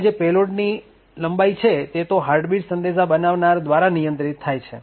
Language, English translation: Gujarati, Now, the payload length, that is, this length is controlled by the creator of the heartbeat message